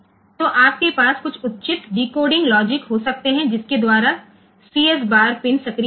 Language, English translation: Hindi, So, you can have some appropriate decoding logic by which the CS bar pin will be activated